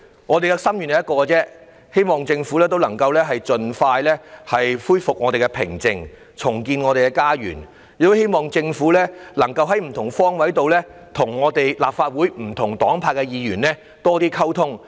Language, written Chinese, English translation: Cantonese, 我們只有一個心願，便是希望政府能夠盡快恢復我們社會的寧靜，重建我們的家園；亦很希望政府能夠在不同方位上與立法會不同黨派的議員有多一點溝通。, We only have a wish and that is the Government can restore serenity in our community and rebuild our home . We also hope the Government can step up communication with Members from various political parties on all fronts